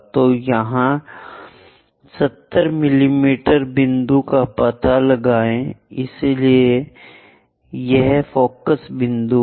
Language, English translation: Hindi, So, locate 70 mm point here so this is the focus point